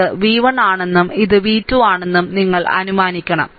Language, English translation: Malayalam, Then you have to assume this is v 1 and this is v 2, right so, let me clean it